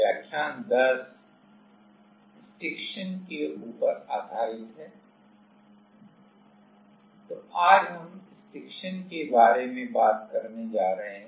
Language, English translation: Hindi, So, today we are going to talk about Stiction